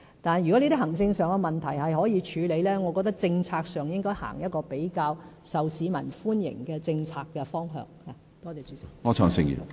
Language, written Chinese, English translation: Cantonese, 但是，如果這些行政上的問題可以處理，我覺得在政策上，便應該採取一個比較受市民歡迎的政策方向。, If we can tackle these administrative issues then I think we should follow a policy direction which commands greater public approval